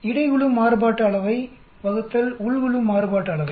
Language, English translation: Tamil, Between group Variance divided by Within group Variance